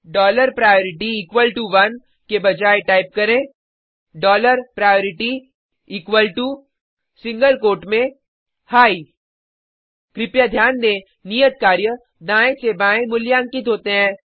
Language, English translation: Hindi, Instead of dollar priority equal to one type dollar priority equal to in single quote high Please note that the assignments are evaluated from right to left